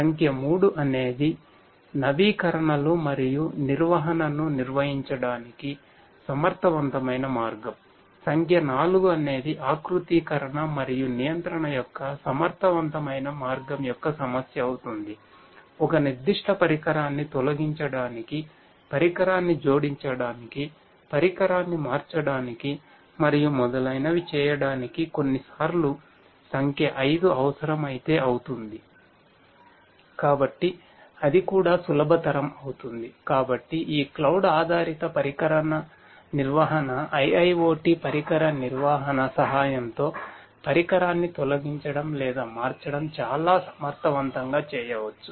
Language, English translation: Telugu, Number 3 is efficient way of carrying out updations and maintenance, number 4 would be the issue of efficient way of configuration and control, number 5 would be if it is required sometimes it is required sometimes it is required to remove a particular device, to add a device, to change a device, to remove a device and so on